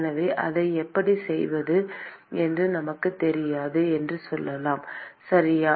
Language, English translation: Tamil, So, let us say we know how to do that, okay